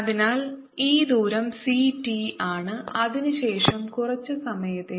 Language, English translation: Malayalam, so this distances is c, t, after that, for some period, tau